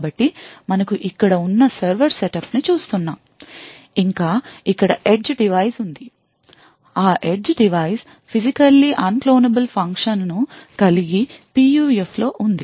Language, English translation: Telugu, So the thing what we will be actually looking at a setup where we have a server over here and we have an edge device and this edge device has a physically unclonable function that is PUF present in it